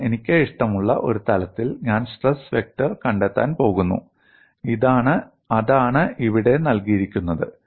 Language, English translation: Malayalam, Because I am going to find out stress vector on a plane of my choice and that is what is given here